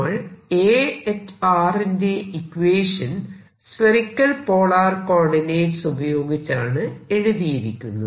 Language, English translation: Malayalam, and we are writing: this whole thing is spherical polar coordinates